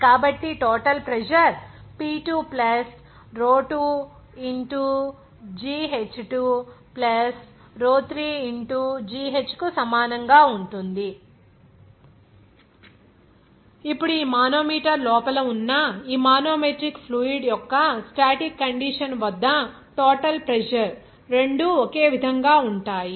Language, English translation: Telugu, So total pressure will be equal to P2 + Rho 2gh2 + Rho 3gh Now both the total pressure will be same at its static condition of this manometric fluid inside this manometer